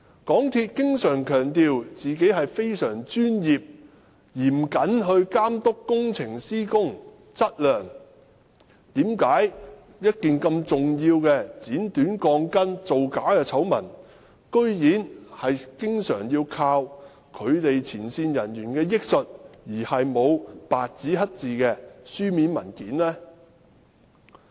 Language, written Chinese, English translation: Cantonese, 港鐵公司經常強調自己非常專業、嚴謹地監督工程施工質量，但為何這麼重要的剪短鋼筋、造假的醜聞，居然要依靠港鐵公司前線人員憶述，而沒有白紙黑字的書面文件？, MTRCL always emphasizes how professional and prudent it is in monitoring the construction quality . But then why is there no black - and - white documentation but only recollections of frontline MTRCL staff to recount the scandal of shortened steel bars and other non - compliant works?